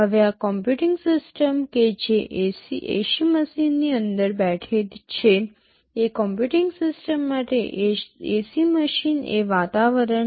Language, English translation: Gujarati, Now this computing system that is sitting inside an AC machine, for that computing system the AC machine is the environment